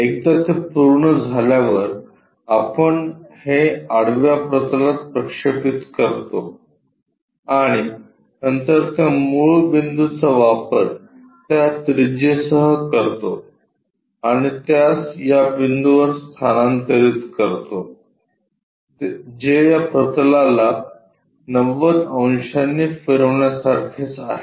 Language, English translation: Marathi, Once it is done, we project it on the horizontal plane, and then use this origin with that radius transfer it to this point, which is same as rotating this plane by 90 degrees